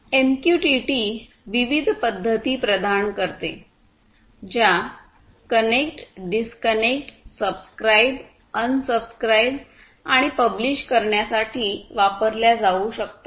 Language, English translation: Marathi, Some of these methods that are used in MQTT are connect, disconnect, subscribe, unsubscribe, and publish